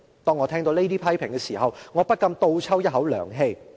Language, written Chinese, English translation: Cantonese, 當我聽到這些批評時，我不禁倒抽一口涼氣。, When I hear such comments I just feel a chill down my spine